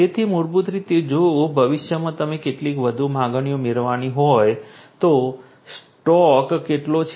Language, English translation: Gujarati, So, basically you know if in the future if you are going to get some more demands than what how much is the stock